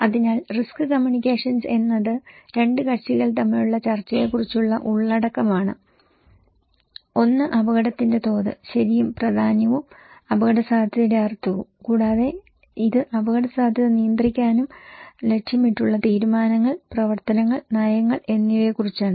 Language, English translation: Malayalam, So, risk communications is the content between two parties about discussing one is the level of the risk, okay and the significance and the meaning of risk and also it is about the decisions, actions and policies aimed at managing and controlling the risk